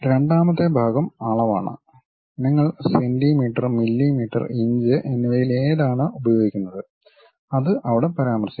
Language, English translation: Malayalam, And the second part is the dimension, the units whether you are working on centimeters, millimeters, inches that kind of units will be mentioned there